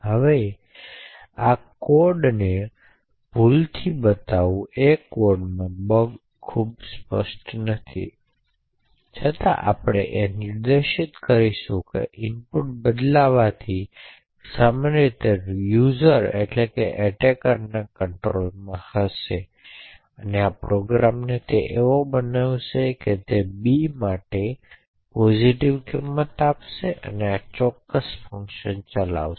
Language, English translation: Gujarati, Now at just by eyeballing the code the bug in the code is not very obvious however what we will now demonstrate now is that by changing the input which is which would typically be in the user control the attacker would be able to make this program behave maliciously for example the attacker could give a positive value of b and make this particular function get invoked